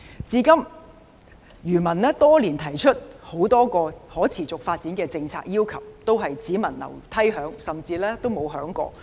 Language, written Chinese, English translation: Cantonese, 至今，漁民多年來提出很多可持續發展的政策要求，都是"只聞樓梯響"，甚至沒有響過。, So far the fishermen have put forward many policy requirements for supporting sustainable development however we can only hear some noises or even nothing at all with no specific measures seen